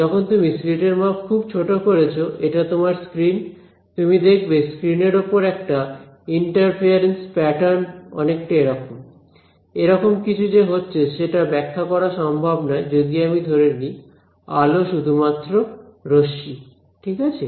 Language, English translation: Bengali, So, when you make the size of the slit much smaller right, so this is your screen, then what happens is that you observe that there is a interference pattern on the screen right you will observe something like; something like this is happening which cannot be explained if I assume light to be just rays right